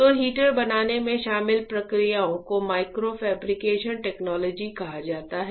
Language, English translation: Hindi, So, the processes that are involved in fabricating the heater is are called Micro Fabrication Technologies; Micro Fabrication Technologies